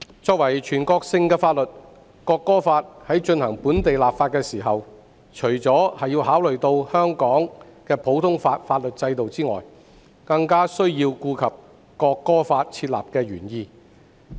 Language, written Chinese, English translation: Cantonese, 作為全國性法律，《國歌法》在進行本地立法時，除了考慮到香港的普通法法律制度外，更需要顧及訂立《國歌法》的原意。, When taking forward the local legislation of the National Anthem Law which is a national law the common law system of Hong Kong and the legislative intent of the National Anthem Law have to be considered